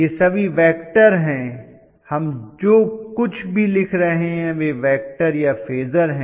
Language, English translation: Hindi, All these things are vectors, whatever we are writing all of them are vectors phasors rather right